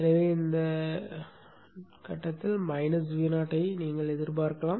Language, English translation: Tamil, So you can expect to see a minus V0 at this point